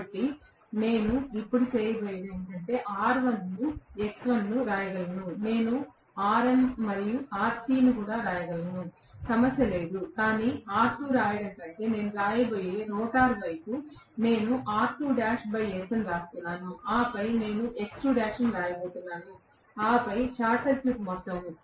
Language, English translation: Telugu, So, what I am going to do now is, I can write R1 X1 and, of course, I can write the Xm and Rc, no problem, but the rotor side I am going to write rather than writing R2, I am going to write R2 dash by S, and then I am going to write X2 dash, Right